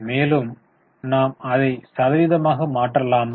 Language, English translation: Tamil, Shall we convert it into percent